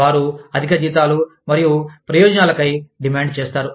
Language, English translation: Telugu, They demand, higher salaries and benefits